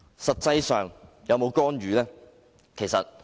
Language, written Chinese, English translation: Cantonese, 實際上，他們有否干預？, Have those personnel actually interfered in the election?